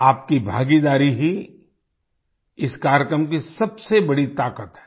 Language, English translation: Hindi, Your participation is the greatest strength of this program